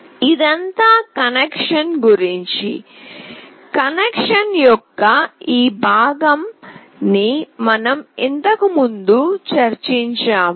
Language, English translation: Telugu, This is all about the connection and this part of the connection we already discussed earlier